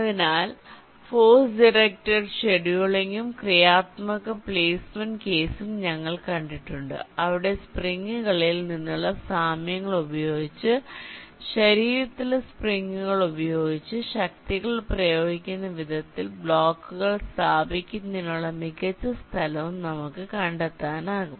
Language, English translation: Malayalam, so we have seen the ah force directed scheduling and constructive placement case where, using means, analogy from springs, the way forces are exerted by springs on a body, we can also find out the best location to place the blocks